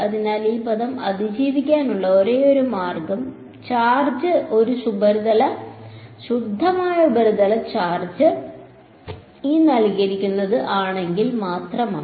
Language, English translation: Malayalam, So, the only possible way for this term to survive is if the charge is a pure surface charge